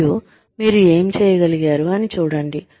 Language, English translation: Telugu, And see, what you were able to do